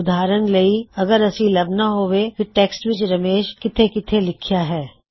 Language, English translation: Punjabi, For example we have to search for all the places where Ramesh is written in our document